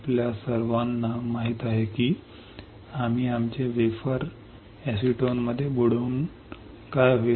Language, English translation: Marathi, We all know we will dip our wafer in acetone what will happen